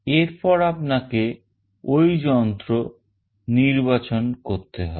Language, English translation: Bengali, Then you have to select that device